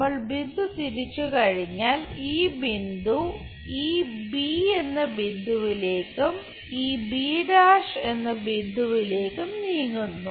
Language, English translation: Malayalam, Once we rotate this point moves on to this point b and this one b’